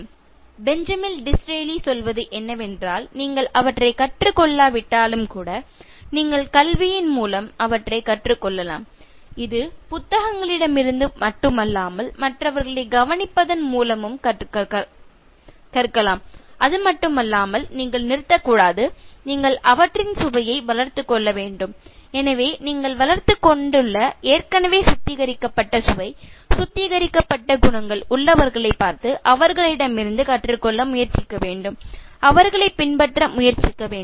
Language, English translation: Tamil, ” What Benjamin Disraeli says, even in case you have not learned them, you can learn through education, that is not only from books, but by observing others and not only that, you should not stop, you must cultivate a taste for them, you should look at those people who have already developed, already have refined taste, refined qualities and try to learn from them, try to emulate them